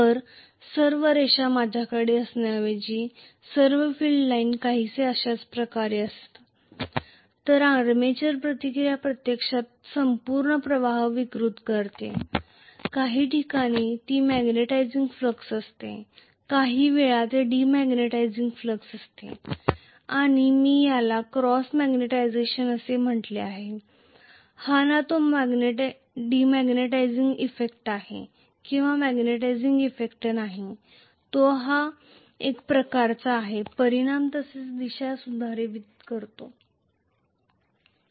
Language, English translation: Marathi, So, I am going to have all the lines rather going like this all the field lines are somewhat going like this, so the armature reaction actually distorts the overall flux, at some point it is magnetizing flux, at some point it is demagnetizing flux and I will called this as cross magnetization, it is neither demagnetizing effect nor magnetizing effect, it is kind of, you know, modifying the magnitude as well as direction